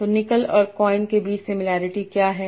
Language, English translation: Hindi, So what is the similarity between nickel and coin